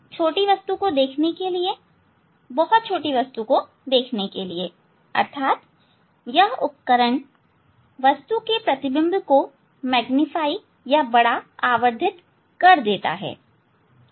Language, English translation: Hindi, To see a small object, so to see the very small objects means this instrument can magnify the image of the object, how it works